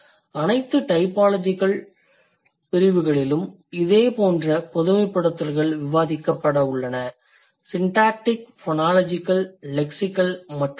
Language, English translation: Tamil, And similar sort of generalizations are going to be discussed in all the typological sections, syntactic, phonological, lexical and others